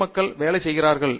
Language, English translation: Tamil, Why do people work